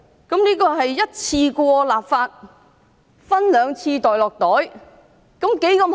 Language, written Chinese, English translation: Cantonese, 這樣是一次過立法，分兩次"落袋"，多好！, This is a one - off legislative exercise which allows benefits to be pocketed separately in two stages